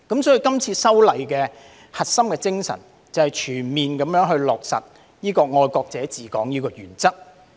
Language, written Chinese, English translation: Cantonese, 所以，今次修例的核心精神，就是全面落實"愛國者治港"的原則。, Therefore the core spirit of these legislative amendments is to fully implement the principle of patriots administering Hong Kong